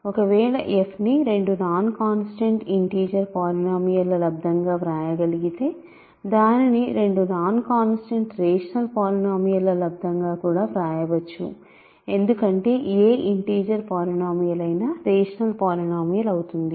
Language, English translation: Telugu, If f can be written as a product of two non constant integer polynomials, it can also be written as a product of two non constant rational polynomials because any integer polynomial is a rational polynomial